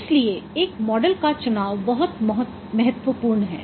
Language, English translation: Hindi, So, choice of a model is very important